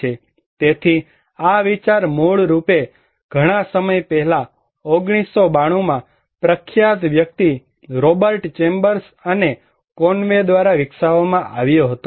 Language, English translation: Gujarati, So, this idea came originally developed by famous person Robert Chambers and Conway in 1992, quite long back